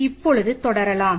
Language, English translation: Tamil, Let us continue now